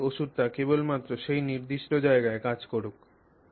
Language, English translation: Bengali, So, we want the medicine to act only at that particular place